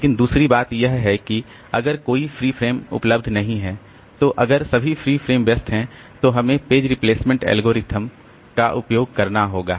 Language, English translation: Hindi, But the second thing is that if there is no free frame, so all are occupied then we have to use a page replacement algorithm